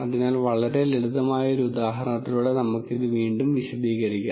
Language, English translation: Malayalam, So, let us again illustrate this with a very simple example